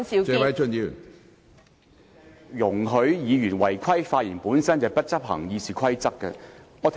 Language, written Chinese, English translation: Cantonese, 主席，容許委員違規發言，本身便是未有執行《議事規則》。, Chairman allowing Members to speak in violation of the rules is in itself a failure to enforce RoP